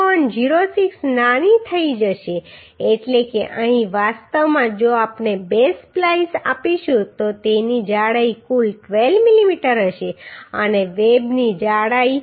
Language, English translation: Gujarati, 06 smaller means here actually if we provide two splice then its thickness will be total 12 mm and thickness of the web will be 7